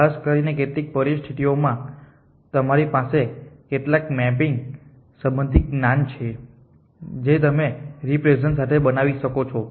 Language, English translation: Gujarati, Especially if in some situation you have knowledge related to some mapping that you can create with representation